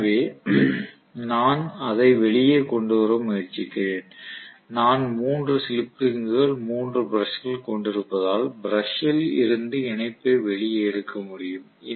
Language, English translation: Tamil, So what am doing is I am trying to bring it out and then I have put 3 slip rings, 3 brushes from the brush now I can take the connection outside